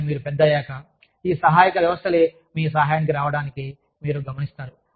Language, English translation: Telugu, But then, as you grow older, you see these support systems, coming to your aid